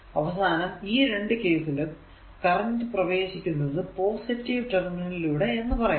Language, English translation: Malayalam, So, current actually entering through the negative terminal